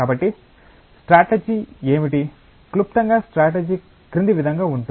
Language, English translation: Telugu, So, what is the strategy, briefly the strategy is as follows